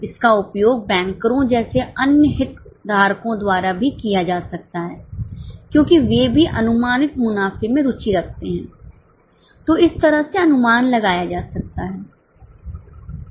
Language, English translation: Hindi, It can also be used by other stakeholders like bankers because they are also interested in projected profitability